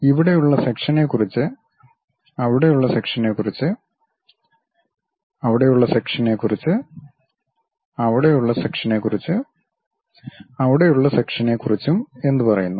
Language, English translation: Malayalam, What about the section here, what about the section there, what about the section there, what about the section there and what about the section there